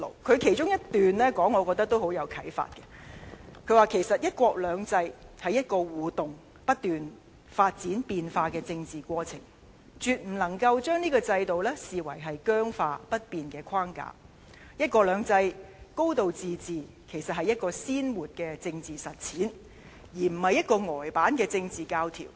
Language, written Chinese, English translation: Cantonese, 他指"一國兩制"其實是一個互動而不斷發展變化的政治過程，絕不能將這個制度視為僵化不變的框架；"一國兩制"、"高度自治"其實是一個鮮活的政治實踐，而不是一個呆板的政治教條。, As pointed out by Mr YAN one country two systems is actually an interactive political process which develops and evolves continuously and we must not regard the system as a rigid and constant framework; one country two systems and a high degree of autonomy are living political practices rather than some stiff political doctrines